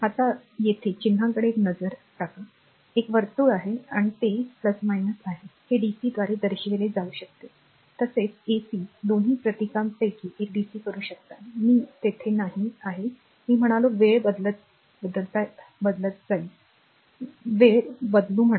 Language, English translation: Marathi, Now, one is look at the symbol here, one circle is there and it is plus minus this can be represented by dc as well as ac both you can dc one of the symbol right, I am not there not ac I said say time varying I will say time varying right